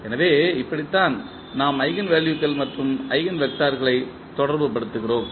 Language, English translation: Tamil, So, this is how we correlate the eigenvalues and the eigenvectors